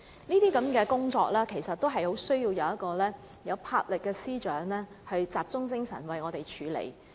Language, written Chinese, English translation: Cantonese, 這些工作需要一位富有魄力的司長集中精神處理。, Such tasks require a bold and resolute Secretary for Justice